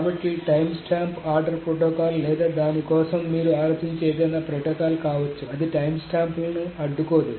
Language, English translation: Telugu, So, timestamp ordering protocol or for that matter, any protocol that you can think of that uses timestamps will not deadlock